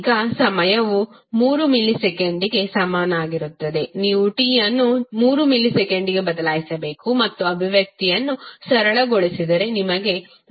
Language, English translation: Kannada, Now, for time is equal to 3 millisecond you simply have to replace t with 3 millisecond and simplify the expression you will get the value 6